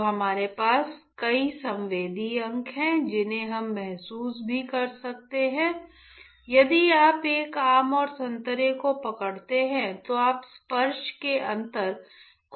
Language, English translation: Hindi, So, we have several sensory organs we can even feel it, if you hold a mango and if you hold an orange you will understand the difference right touch